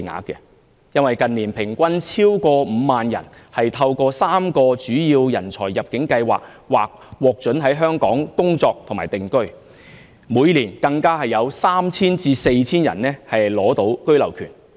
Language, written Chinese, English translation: Cantonese, 近年平均超過5萬人透過3個主要人才入境計劃，獲准在香港工作和定居，每年更有 3,000 人至 4,000 人取得居留權。, In recent years an average of about 50 000 people per year are permitted to work and settle down in Hong Kong under various talent admission schemes . Each year about 3 000 to 4 000 people are granted the right of abode in Hong Kong . A rising trend can be observed from the relevant figures